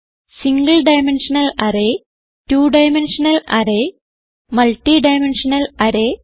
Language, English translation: Malayalam, Two dimensional array and Multi dimensional array